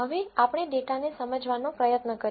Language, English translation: Gujarati, Now, let us try to understand the data